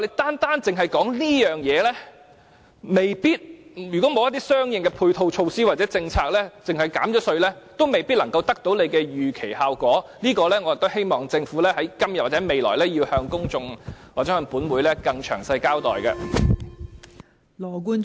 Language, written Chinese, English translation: Cantonese, 單單只說這方面，如果沒有一些相應的配套措套或政策而只憑減稅，未必能夠得到當局預期的效果，我希望政府今天或未來，要向公眾或本會更詳細的交代這方面。, If we focus only on providing tax concession but not other measures to dovetail with the development of that business we might not get the result as desired by the authorities . I hope that the Government can give the public or this Council more detailed explanation in this regard either today or tomorrow